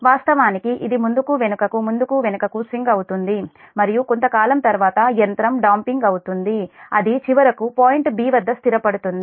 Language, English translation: Telugu, it will swing back and forth, back and forth and, because of the machine damping, finally, after some time it will settle to point b